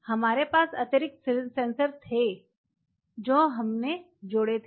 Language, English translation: Hindi, So, we had additional sensors what we added